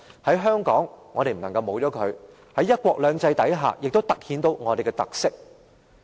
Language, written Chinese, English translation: Cantonese, 在香港，我們不能沒有它，而在"一國兩制"下，亦突顯出我們的特色。, We cannot go without it in Hong Kong . It also accentuates our characteristics under one country two systems